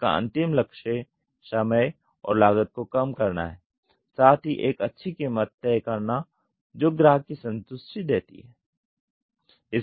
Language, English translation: Hindi, This is the ultimate goal is to reduce the time and cost give a good cost with customer satisfaction